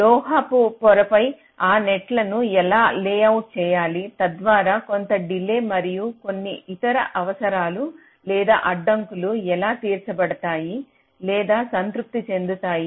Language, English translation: Telugu, so how to layout those nets on the metal wires so that some delay and some other requirements are constraints, are met or satisfied